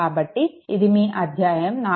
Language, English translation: Telugu, So, this is your its chapter 4